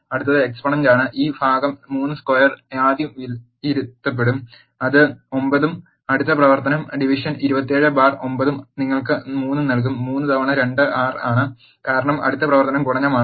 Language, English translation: Malayalam, The next one is exponent the first this part 3 square will be evaluated that is 9 and the next operation is division 27 by 9 will give you 3, 3 times 2 is 6 because the next operation is multiplication